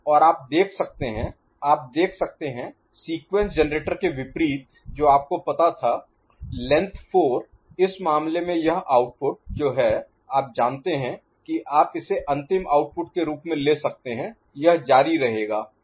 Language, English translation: Hindi, And, you can see, you can see unlike the sequence generator which was of you know, length 4, in this case this output which is the you know you can take as final output of it, continues up to a length which is 15